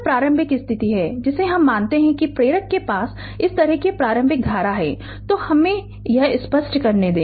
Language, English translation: Hindi, So, this is the initial condition we assume that inductor has an initial current like this , so let me clear it